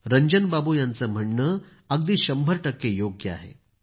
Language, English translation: Marathi, Ranjan babu is a hundred percent correct